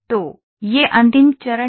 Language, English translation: Hindi, So, this is the final step